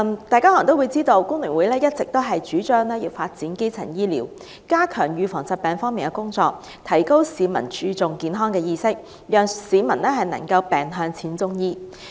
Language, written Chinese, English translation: Cantonese, 大家可能也知道，工聯會一直主張發展基層醫療、加強預防疾病、提高市民注重健康的意識，讓市民能夠"病向淺中醫"。, As Members may be aware the Hong Kong Federation of Trade Unions has all along been supportive of developing primary healthcare services so as to strengthen disease prevention enhance health consciousness among the public and enable people to receive treatment at an early stage of illness